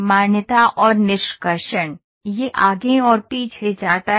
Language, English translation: Hindi, Recognition extraction, this goes back and forth